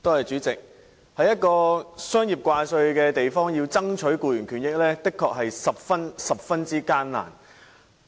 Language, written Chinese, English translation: Cantonese, 主席，在一個商業掛帥的地方，要爭取僱員權益的確十分艱難。, President It would indeed be very difficult to fight for employees rights and benefits in a highly commercialized city